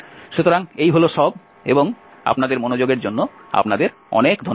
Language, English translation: Bengali, So, that is all for this and thank you very much for your attention